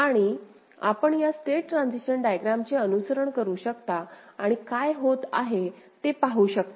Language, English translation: Marathi, And you can follow this state transition diagram and see what is happening